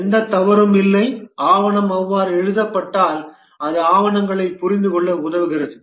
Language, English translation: Tamil, And if the document is written that way, then it facilitates comprehension of the documents